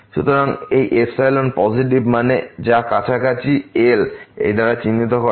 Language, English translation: Bengali, So, this epsilon positive that means, which is denoted by this distance here around this